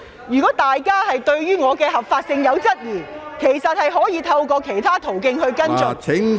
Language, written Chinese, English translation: Cantonese, 如果大家對於我當選的合法性存疑，可透過其他途徑跟進。, Members who question the legality of my election may follow up through other channels